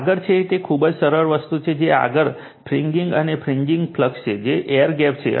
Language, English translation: Gujarati, Next is it is very simple thing next is fringing, it is fringing flux, which is air gap